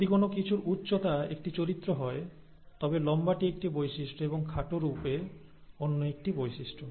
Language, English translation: Bengali, If height of something is a character, then tall is a trait and short is another trait, and so on